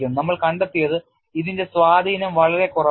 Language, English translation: Malayalam, What we have found is the influence is quite marginal